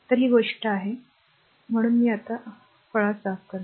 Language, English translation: Marathi, So, that is the thing; so, anyway cleaning this right